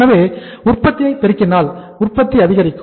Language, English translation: Tamil, So then increase in the production, production picks up